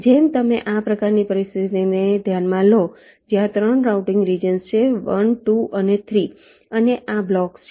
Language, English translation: Gujarati, like you consider this kind of a situation where there are three routing regions: one, two and three, and these are the blocks